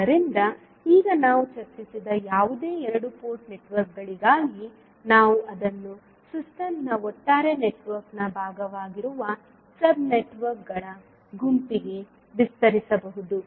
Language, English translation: Kannada, So now, whatever we discussed was for two port networks, we can extend it to n set of sub networks which are part of the overall network of the system